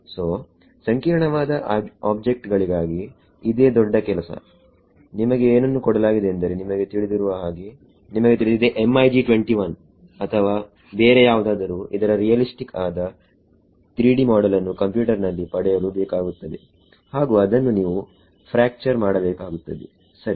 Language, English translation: Kannada, So, for complicated objects this is itself for big task imagine you are given let us say like you know some you know MiG 21 or something you need to have a realistic 3D model of this in the computer and then you have to for the fracture it ok